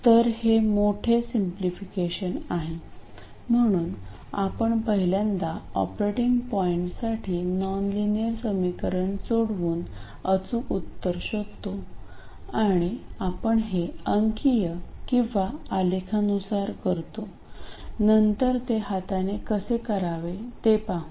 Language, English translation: Marathi, So, in summary, we first calculate the exact solution, that is solution from the nonlinear equation for the operating point, and that we will do numerically or graph graphically later we will see how to do it by hand